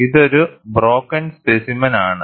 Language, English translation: Malayalam, This is a broken specimen